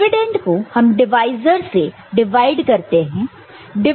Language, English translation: Hindi, And the dividend is getting divided by the divisor all right